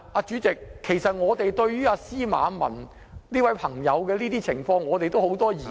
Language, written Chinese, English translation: Cantonese, 主席，對於司馬文的情況，我們也有很多疑問......, President we have many questions concerning Paul ZIMMERMANs situation